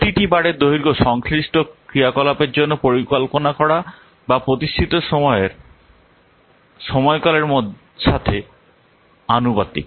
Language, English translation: Bengali, The length of each bar is proportional to the duration of the time that is planned or expected for the corresponding activity